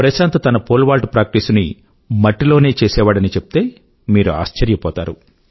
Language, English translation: Telugu, You will be surprised to know that Prashant used to practice Pole vault on clay